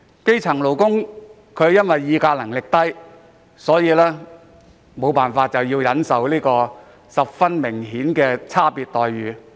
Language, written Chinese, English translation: Cantonese, 基層勞工議價能力低，唯有忍受明顯有差別的待遇。, The grass - roots workers have low bargaining power and can only put up with blatantly different treatment